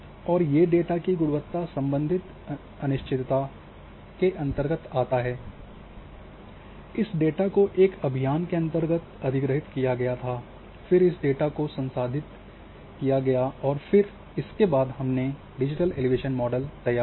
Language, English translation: Hindi, So, that there will come under the uncertainty of quality of data then, this data when it was acquired by this mission then this data has been processed and then digital elevation models we have created